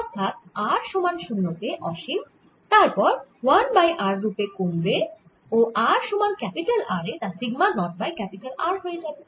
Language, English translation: Bengali, so at r equal to zero is going to be infinity, and then it decays as one over r and at r equal to capital r its going to be sigma naught over capital r